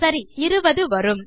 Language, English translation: Tamil, Okay, so that will be 20